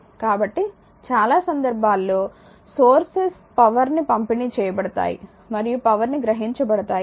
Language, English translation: Telugu, So, sources many cases power will be delivered and power will be absorbed